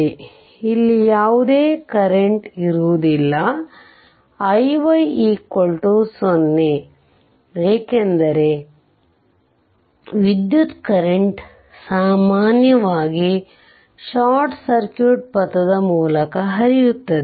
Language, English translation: Kannada, So, there will be no current here i y is equal to 0, because it current generally flows through a flows through the short circuit path